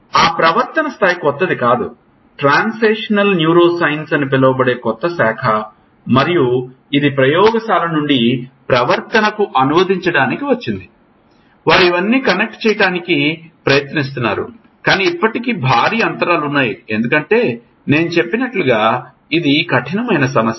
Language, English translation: Telugu, That behavior level which is not a new whole, new branch called transnational neuroscience has come up translating from the lab to behavior, they are trying to connect all these, but still there are huge gaps because as I said this is a hard problems are there this is just a comparative parallelism brain behavior relationship across